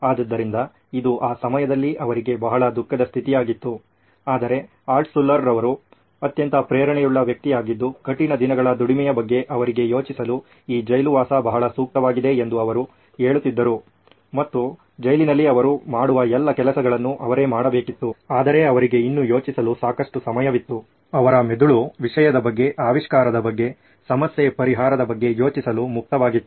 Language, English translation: Kannada, So this was pretty sad state at that time but Altshuller was extremely motivated, he said wow this is a great place for me to think about this you know there is hard days labour and he has to do all that those things that they do in the prison but he still had time to think, his brain was free to think about stuff, about invention, about problem solving